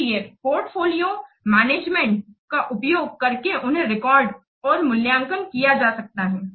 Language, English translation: Hindi, So, they can be recorded and assessed by using portfolio management